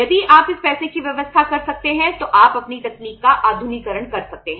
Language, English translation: Hindi, If you can arrange this money you can modernize your technology